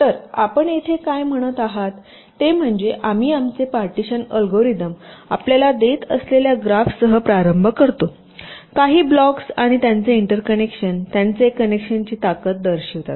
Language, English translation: Marathi, so so here, what your saying is that we start with that graph which our partitioning algorithms is giving us some blocks and their interconnections, indicating their strength of connections